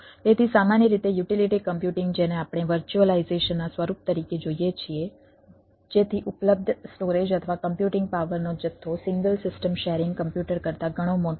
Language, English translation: Gujarati, so what we we view as form of virtualization so that the amount of storage or computing power available is considerably larger than the, than a single system sharing computer